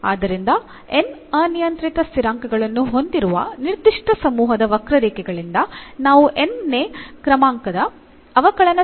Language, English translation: Kannada, So, the from a given family of curves containing n arbitrary constants we can obtain nth order differential equation whose solution is the given family